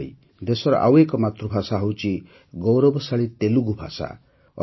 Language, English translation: Odia, Similarly, India has another mother tongue, the glorious Telugu language